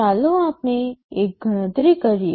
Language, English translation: Gujarati, Let us make a calculation